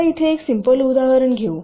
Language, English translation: Marathi, now lets take a simple example here